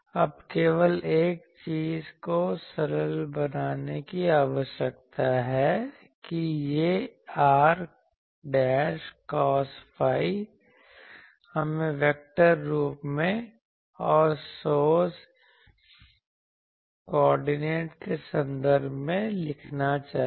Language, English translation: Hindi, Now, this is ok; only thing is I need to simplify this part that this r dashed cos phi, we should write in vector form and in terms of source coordinate